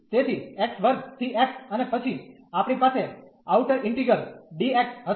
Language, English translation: Gujarati, So, x square to x and then we have the outer integral dx